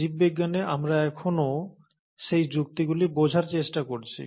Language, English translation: Bengali, For biology, we are still trying to understand those logics